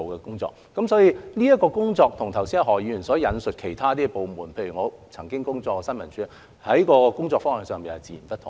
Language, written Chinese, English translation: Cantonese, 因此，這方面的工作跟何議員剛才引述其他部門——例如我曾工作的新聞處——的工作方向截然不同。, Thus the work in this area is significantly different in direction from that of other departments mentioned by Dr HO for example the Information Services Department where I have worked